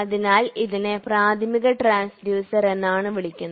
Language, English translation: Malayalam, Hence, it is termed as primary transducer